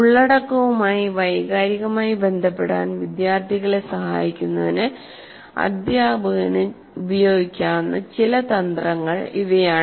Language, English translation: Malayalam, There are some of the strategies teacher can use to facilitate students to emotionally connect with the content